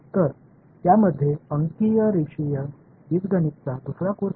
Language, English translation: Marathi, So, that involves another course on numerical linear algebra